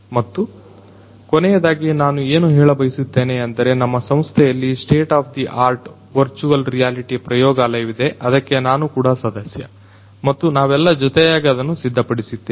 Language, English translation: Kannada, And, the last thing that I would like to mention is there is a very state of the art virtual reality lab in our institute that that I am also a part of and we have built it together